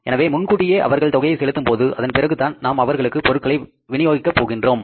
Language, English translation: Tamil, So when they are going to pay us in advance, after that we are going to deliver the product